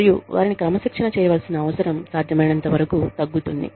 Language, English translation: Telugu, And, the need to discipline them, is reduced, as far as possible